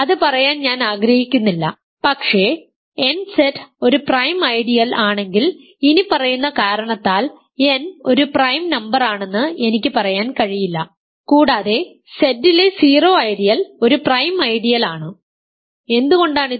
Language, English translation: Malayalam, I do not want to say the converse, but because I cannot say that if nZ is a prime ideal n is a prime number for the following reason; also the 0 ideal in Z is a prime ideal why is this